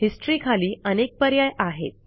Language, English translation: Marathi, Under History, there are many options